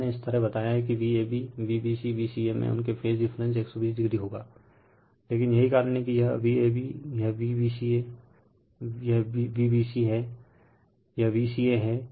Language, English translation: Hindi, So, I told you that V a b, V b c that this V c a, their phase difference will be 120 degree right, but the so that is why this is V a b, this is V b c, this is V ca